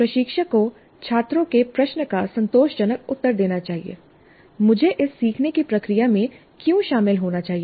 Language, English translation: Hindi, Instructor must satisfactor, satisfactor, answer the student's question, why should I be engaged in this learning process